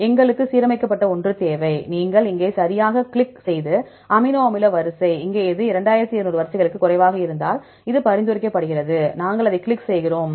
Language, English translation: Tamil, So, we need the aligned one, you click here right and these amino acid sequence, also here this is a, this is recommended if less than 2200 sequences; we click that one